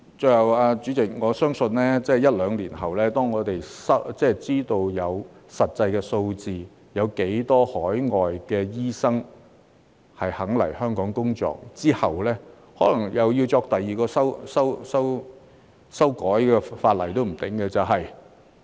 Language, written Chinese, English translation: Cantonese, 最後，主席，我相信在一兩年後，當我們知道實際有多少海外醫生願意來香港工作，可能又要再次修改法例。, Lastly President I believe one or two years later when we know how many overseas doctors are actually willing to come and work in Hong Kong there may be a need for another legislative amendment exercise